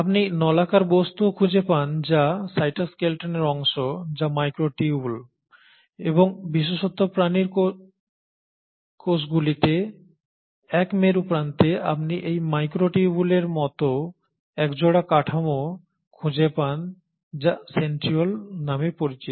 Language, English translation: Bengali, You also find the cylindrical objects which is the part of the cytoskeleton which is the microtubules and particularly in the animal cells at one polar end you find a pair of these microtubule like structures which are called as the Centrioles